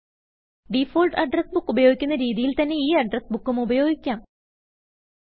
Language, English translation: Malayalam, You can use this address book in the same manner you use the default address books